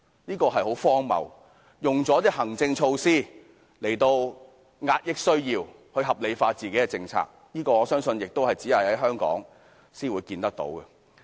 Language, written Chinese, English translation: Cantonese, 這是很荒謬的，以行政措施來遏抑某部分人的需要，將自己的政策合理化，我相信這現象亦只會在香港才可見到。, That is very ridiculous . The Government uses administrative measures to suppress the needs of certain groups of people so as to rationalize its policy . I believe this phenomenon can only be seen in Hong Kong